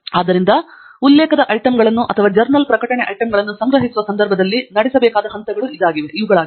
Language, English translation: Kannada, So, these are the steps that are to be performed while collecting the reference items or the journal publication items